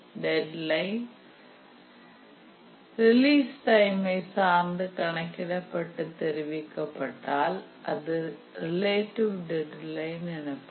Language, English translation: Tamil, Whereas if the deadline is computed or is reported with respect to the release time, then we call it as the relative deadline